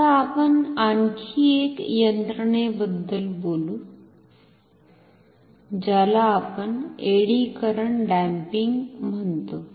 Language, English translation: Marathi, Now, we shall talk about another mechanism, which we call the eddy current damping